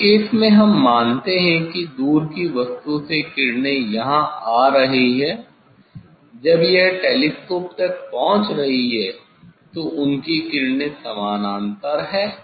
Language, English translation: Hindi, in this case, we assume that from the distance object the rays are coming here, when it is reaching to the telescope their rays are parallel